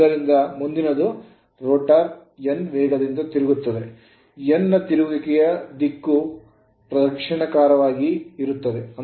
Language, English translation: Kannada, Next one is and rotor is rotating with a speed of n here it is n right, here it is n it is given like this